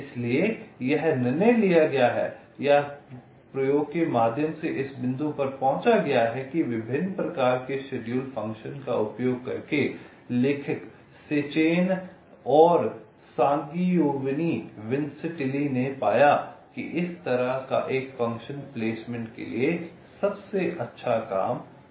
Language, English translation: Hindi, so by using various different kinds of the schedule function the authors sechen and sangiovanni vincentelli they found that this kind of a function works the best for placement